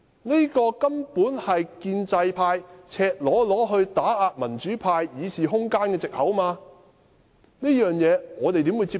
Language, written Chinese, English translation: Cantonese, 這根本是建制派赤裸裸打壓民主派議事空間的藉口，我們怎能接受？, It is simply an excuse adopted by the pro - establishment camp to blatantly narrow the room for debate of the pro - democracy camp . How can we accept it?